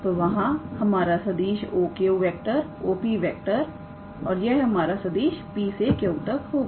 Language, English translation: Hindi, So, there is our vector O Q, O P and then this is our vector P to Q all right